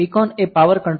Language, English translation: Gujarati, So, PCON is the power control register